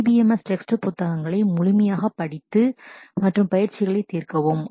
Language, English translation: Tamil, Read the DBMS textbook thoroughly and solve exercises